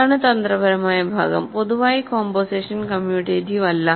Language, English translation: Malayalam, So, this the tricky part, in general composition is not commutative right